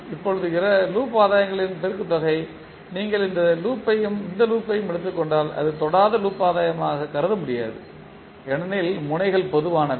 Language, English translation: Tamil, Now the product of loop gains like if you take this loop and this loop, this cannot be considered as a non touching loop gains because the nodes are common